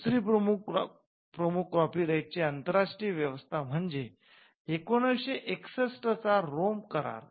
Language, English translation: Marathi, The second major international arrangement on copyright is what we call the Rome convention of 1961